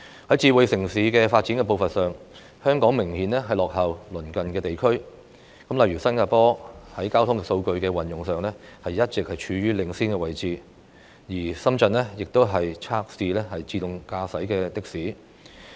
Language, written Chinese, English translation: Cantonese, 在"智慧城市"的發展步伐上，香港明顯落後於鄰近地區，例如新加坡在交通數據的運用上一直處於領先位置，深圳亦已測試自動駕駛的士。, Hong Kong is obviously lagging behind nearby regions in the area of smart city development . For instance Singapore has been in the leading position in the use of traffic data while Shenzhen has started testing autonomous taxis